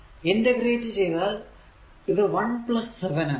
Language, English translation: Malayalam, If you integrate this it will be your 1 plus 7